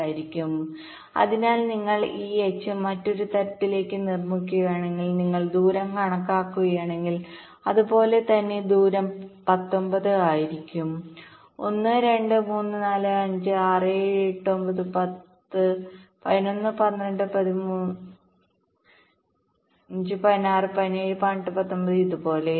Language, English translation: Malayalam, so so if you construct this h up to another level and if you calculate the distance similarly, the distance will be nineteen: one, two, three, four, five, six, seven, eight, nine, ten, eleven, twelve, fifteen, sixteen, seventeen, eighteen, nineteen, like this